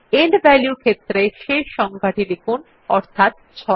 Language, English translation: Bengali, In the End value field, we will type the last value to be entered as 6